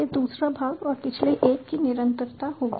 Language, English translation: Hindi, this will be the second part and the continuation of the previous one